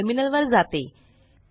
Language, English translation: Marathi, Let me go to the terminal